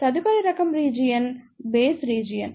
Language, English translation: Telugu, The next type of region is the Base region